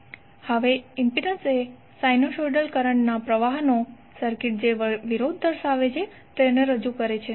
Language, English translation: Gujarati, Now impedance represents the opposition that circuit exhibits to the flow of sinusoidal current